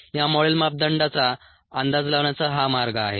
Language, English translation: Marathi, this is the way in which these model parameters are estimated